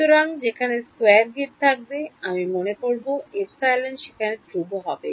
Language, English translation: Bengali, So, wherever there is a square grid I assume the epsilon is constant over there